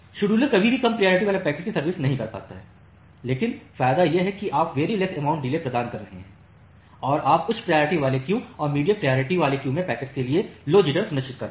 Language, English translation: Hindi, So, the scheduler is never able to serve the low priority packets, but the advantage is that you are providing very less amount of delay and you are ensuring low jitter for the packets at the high priority queue and the medium priority queue